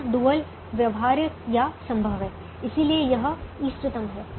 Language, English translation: Hindi, now, here the dual is feasible, therefore it is optimum